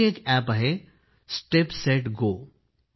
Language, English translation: Marathi, There is another app called, Step Set Go